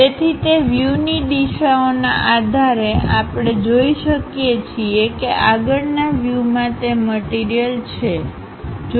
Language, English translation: Gujarati, So, based on those view directions, we can see that the front view portion have that material element